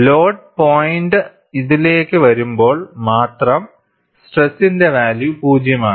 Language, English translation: Malayalam, Ideally, only when the load point comes to this, the value of stress is 0